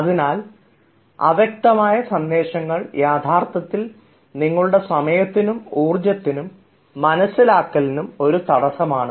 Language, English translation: Malayalam, so ambiguous and unclear messages are actually a constant to your time, to your energy and to your understanding